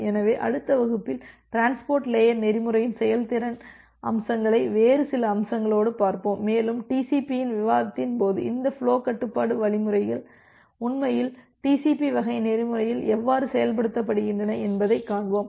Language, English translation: Tamil, So, in the next class we’ll look into some other aspects performance aspects of transport layer protocol and during the discussion of TCP we will see that how this flow control algorithms are actually implemented in TCP type of protocol